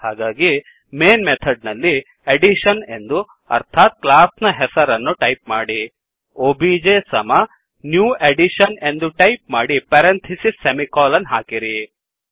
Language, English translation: Kannada, So in the Main method type Addition i.e the class name obj is equalto new Addition parentheses semicolon